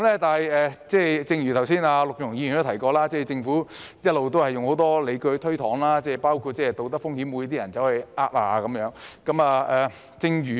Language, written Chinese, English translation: Cantonese, 但是，正如剛才陸頌雄議員提到，政府一直用很多理據推搪，包括道德風險，即會否有人詐騙。, Nonetheless as Mr LUK Chung - hung has just mentioned the Government has been evading it by citing many reasons including moral hazard that is whether someone will cheat